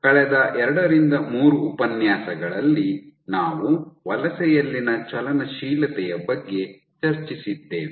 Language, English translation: Kannada, So, over the last 2 3 lectures we have been discussing about acting dynamics in migration